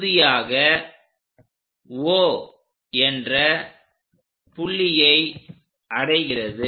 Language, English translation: Tamil, Finally, it reaches at 0